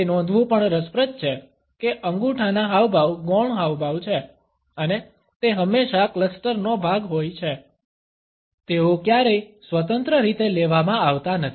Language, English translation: Gujarati, It is also interesting to note that thumb gestures are secondary gestures and they are always a part of a cluster, they are never independently read